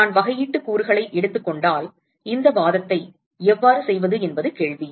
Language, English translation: Tamil, So, the question is if I take differential element, how to make this argument